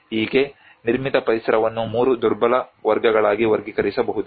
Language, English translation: Kannada, That is how the categorization of the built environment into 3 vulnerable classes